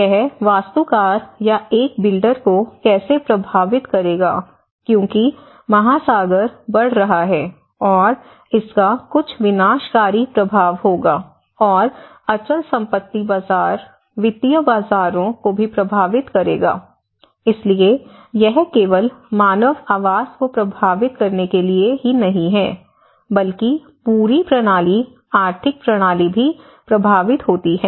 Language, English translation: Hindi, And not only that it will also how it will affect an architect or a builder, it will affect because the ocean is rising and it will have some disastrous effects, and it may also affect the markets; the real estate markets, it will also affect the financial markets so, there has been it is not just only about affecting the human habitat but the whole system, the economic system also is affected, the market system is also affected